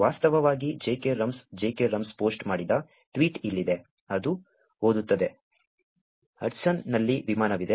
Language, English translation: Kannada, Here is a tweet which actually jkrums, j k rums actually posted, which reads as, ‘There is a plane in the Hudson